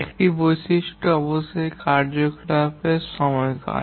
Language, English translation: Bengali, One attribute is of course the duration of the activity